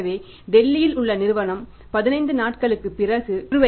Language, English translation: Tamil, So the company who is in Delhi their account will be debited after 15 days